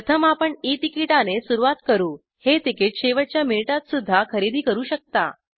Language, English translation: Marathi, First we will begin with E ticket one can buy this at the last minute also